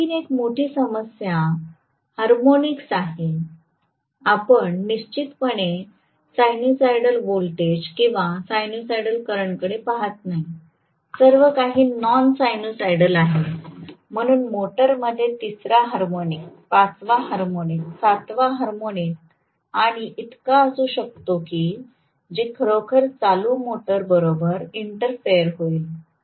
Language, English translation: Marathi, This is definitely not a good option and one more major problem is harmonics, we definitely not looking at sinusoidal voltage or sinusoidal current, everything is non sinusoidal, so the motor can have third harmonic, fifth harmonic, seventh harmonic and so on and so fourth and which can really interfere with the proper working of the motor